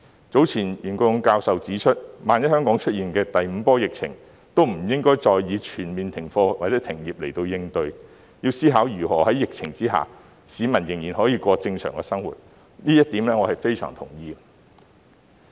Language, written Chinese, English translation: Cantonese, 早前袁國勇教授指出，萬一香港出現第五波疫情，亦不應再以全面停課或停業來應對，要思考如何在疫情下讓市民仍然可以過正常生活，這一點我是相當同意的。, Earlier on Prof YUEN Kwok - yung pointed out that should a fifth wave of the epidemic emerge in Hong Kong we should not resort to a total suspension of classes or business again . We should think about how to enable members of the public to live as usual despite the epidemic . I quite agree with this point